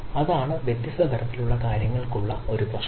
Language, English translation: Malayalam, that is a problem for different type of things